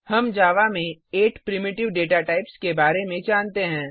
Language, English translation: Hindi, We know about the 8 primitive data types in Java